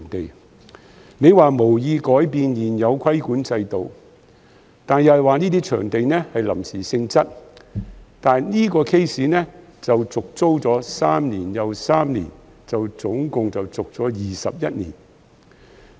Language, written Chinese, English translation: Cantonese, 局長說政府無意改變現有規管制度，又說該些市場屬臨時性質，但是，小欖跳蚤市場這個 case， 是續租了三年又三年，總共21年。, The Secretary has stated that the Government has no intention to change the existing regulatory system and described those markets as temporary in nature but in the case of Siu Lam Flea Market its tenancy has kept getting renewed every 3 years for a total of 21 years